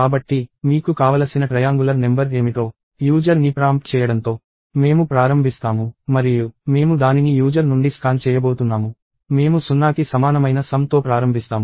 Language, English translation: Telugu, So, we start with prompting the user what is that triangular number that you want; and we are going to scan it from the user; we will start with sum equal to zero